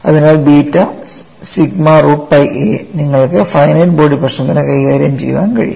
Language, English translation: Malayalam, So, beta sigma root of pi a, that way you can handle finite body problem